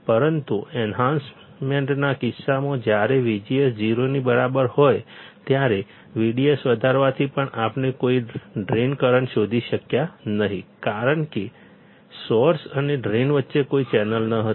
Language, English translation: Gujarati, But in case of enhancement type when V G S equals to 0, even on increasing V D S we were not able to find any drain current because there was no channel between source and drain